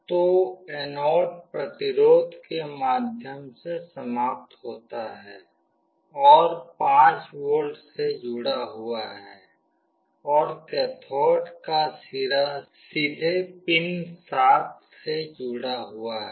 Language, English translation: Hindi, So, the anode end through a resistance is connected to 5V, and the cathode end is directly connected to pin 7